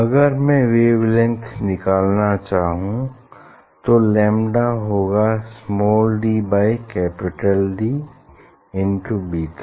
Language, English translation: Hindi, if I want to find out the wavelength; lambda will be equal to small d by D beta, right